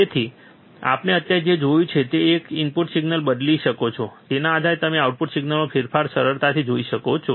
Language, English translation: Gujarati, So, what we have seen until now is that you can change the input signal, and based on that, you can easily see the change in the output signal